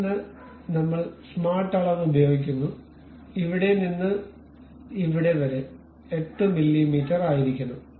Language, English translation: Malayalam, Then we use smart dimension, from here to here it supposed to be 8 mm